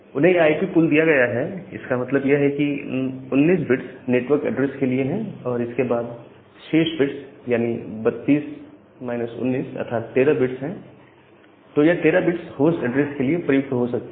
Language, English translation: Hindi, So, if this IP pool is given to them that means, the 19 bits are for the network address, and then the remaining 32 minus 19 that means 13 bits, they can use for the host address